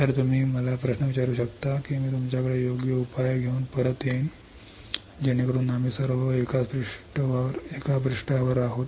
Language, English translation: Marathi, So, you can ask me query I will get back to you with a proper solution so that we are all on same page